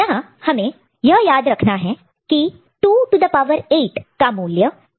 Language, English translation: Hindi, So, when it is 2 to the power 8 ok, it is 256